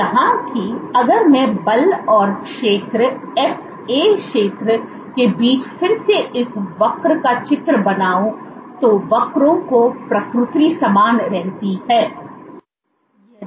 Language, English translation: Hindi, So, if I were to draw this curve again between force and area FA area the nature of the curves remains the same